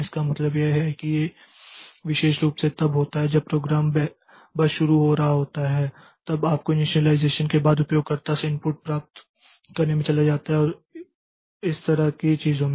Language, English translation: Hindi, So, this means that this particularly happens when you the program is just starting then you have got maybe after initialization it goes into getting the input from the user and things like that